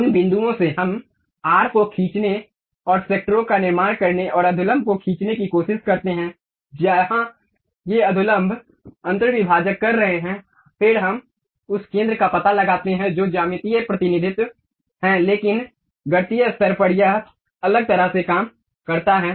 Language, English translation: Hindi, From those points, we try to draw the arc and construct sectors and draw normals, where these normals are intersecting, then we locate the center that is geometric representation, but mathematical level it works in a different way